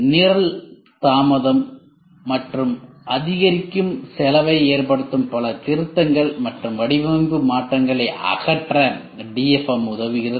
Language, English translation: Tamil, DFM helps eliminate multiple revisions and design changes that causes program delay and increasing cost